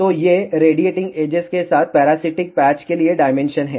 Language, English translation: Hindi, So, these are the dimensions for the parasitic patches along radiating edges